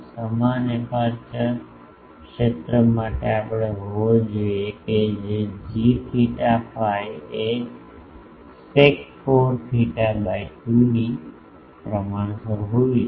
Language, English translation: Gujarati, For uniform aperture field we require that g theta phi should be proportional to sec 4 theta by 2